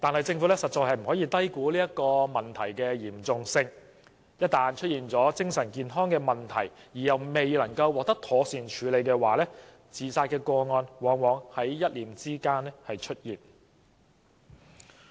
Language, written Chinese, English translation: Cantonese, 政府實在不能低估這些問題的嚴重性，假如市民出現精神健康問題而又不能獲得妥善處理的話，便可能在一念之間做出自殺行為。, The Government can simply not underestimate the gravity of these problems . Members of the public might decide to commit suicide in the split of a second if they have mental problems and fail to receive proper treatment